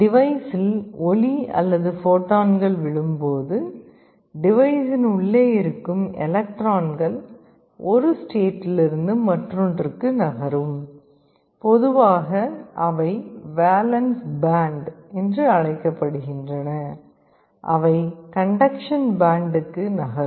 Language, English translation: Tamil, When light or photons fall on the device the electrons inside the device move from one state to the other, typically they are called valence band, they move to the conduction band